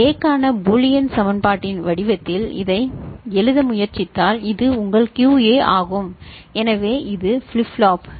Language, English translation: Tamil, And if you try to write it in the form of Boolean equation for A so, this is your QA so this is flip flop A right